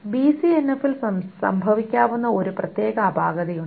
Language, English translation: Malayalam, There is a particular anomaly that can happen with BCNF